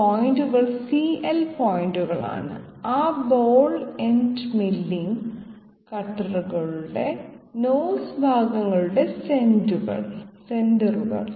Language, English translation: Malayalam, These points are the CL points, the centers of the nose portion of those ball end milling cutters